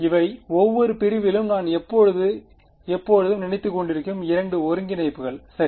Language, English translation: Tamil, These are the two integrals that I am always thinking about over each segment ok